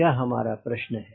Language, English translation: Hindi, that is the question